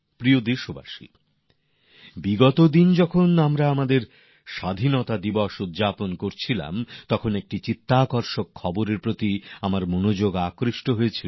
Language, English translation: Bengali, Dear countrymen, a few weeks ago, while we were celebrating our Independence Day, an interesting news caught my attention